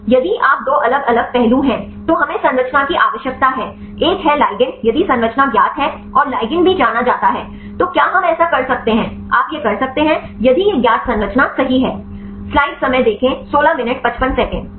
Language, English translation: Hindi, If you there are two different aspects one we need structure one is a ligand if the structure is known and the ligand is also known, then can we do this you can do that right if it is here the known structure right